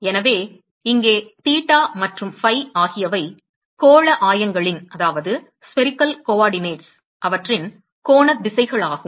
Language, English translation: Tamil, So, here theta and phi are basically the angular directions in spherical coordinates